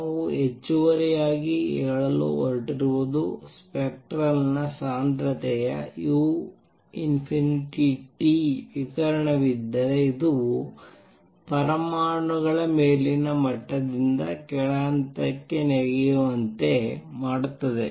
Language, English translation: Kannada, What we are also going to say in addition there is a possibility that if there is a radiation of spectral density u nu T this will also make atoms jump from upper level to lower level